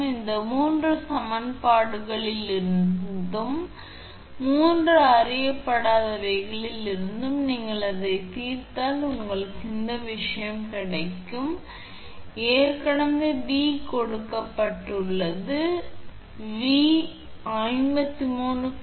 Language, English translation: Tamil, So, from this from this three equations and three unknown if you solve you it you will get this thing I mean V is already given because V actually it is known V is given, V is actually 53